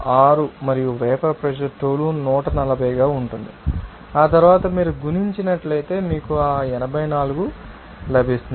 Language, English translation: Telugu, 6 and vapour pressure up toluene that is 140 after that if you multiply you will get that 84